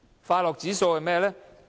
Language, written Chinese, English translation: Cantonese, 快樂指數是甚麼呢？, What is the World Happiness Index?